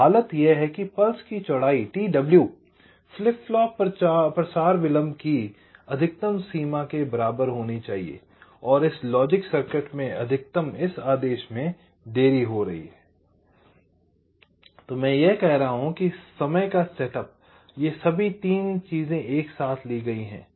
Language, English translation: Hindi, so the condition is your: this width of the pulse, t w must be equal to maximum of flip flop propagation delay maximum of this logic circuit, delay this order i am saying plus setup of time